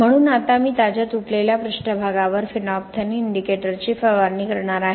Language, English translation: Marathi, So now I am going to spray the phenolphthalein indicator over the freshly broken surface